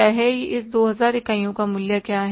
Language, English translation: Hindi, What is the value of this 2,000 units